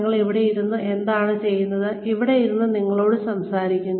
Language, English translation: Malayalam, What are we doing sitting here, what am I doing, sitting here, talking to you